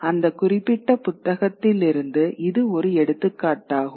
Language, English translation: Tamil, That's an illustration from that particular book